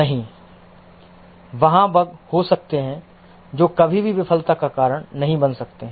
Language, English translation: Hindi, No, there may be bugs which may never cause a failure